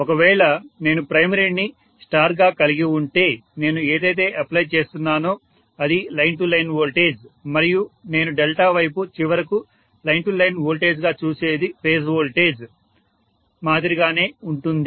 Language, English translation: Telugu, If I am having primary as star what I am applying is line to line voltage and what I look at the as line to line voltage finally in the delta side will be similar to the phase voltage